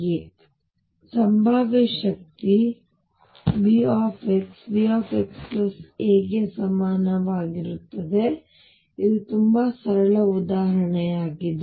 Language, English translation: Kannada, So, this potential V x is equal to V x plus a, this is a very simple example